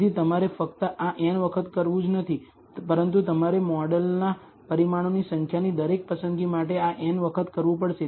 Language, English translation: Gujarati, So, you have not only have to do this n times, but you have to do this n times for every choice of the number of parameters of the model